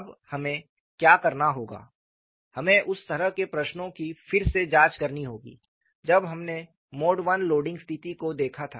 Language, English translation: Hindi, Now, what we will have to do is, we will have to go and reinvestigate the kind of questions I raised when we looked at the mode 1 loading situation